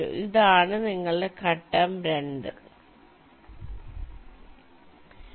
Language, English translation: Malayalam, so this is your phase two